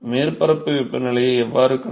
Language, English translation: Tamil, How do we find the surface temperature